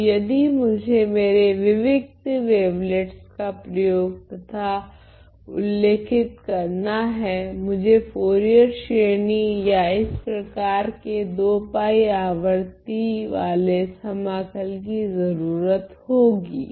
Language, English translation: Hindi, Now, to if I were to use and describe my discrete wavelets, I have to resort to Fourier series or the integrals of this form which are 2 pi periodic